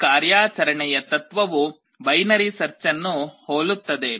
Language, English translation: Kannada, The principle of operation is analogous or similar to binary search